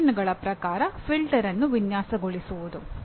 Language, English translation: Kannada, Designing a filter as per specifications